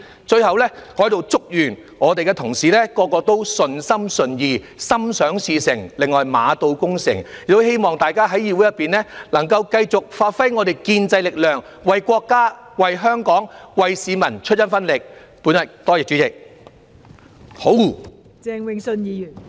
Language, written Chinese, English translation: Cantonese, 最後，我在此祝願各位同事也順心順意，心想事成，另外馬到功成，亦希望大家在議會內能夠繼續發揮建制力量，為國家、為香港、為市民出一分力，多謝代理主席。, Last but not least I would like to wish all colleagues the best of luck and success . I hope that Members will continue to play their part as the constructive forces in the legislature for our country for Hong Kong and for the people . Thank you Deputy President